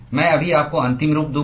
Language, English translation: Hindi, I will just give you the final form